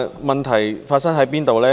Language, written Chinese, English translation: Cantonese, 問題發生在哪裏呢？, What is the problem exactly?